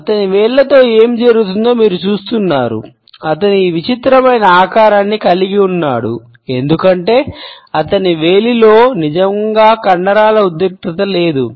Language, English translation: Telugu, You see what is going on with his fingers he had this weird shape going on because there is not any really muscular tension going on in his finger